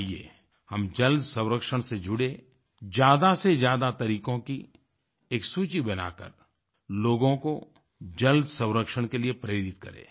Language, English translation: Hindi, Come let us join water conservation, and involve ourselves in making a list of more and more innovative methods to motivate people to conserve water